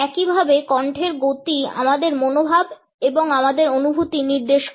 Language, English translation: Bengali, In the same way the speed of voice suggests our attitudes and our feelings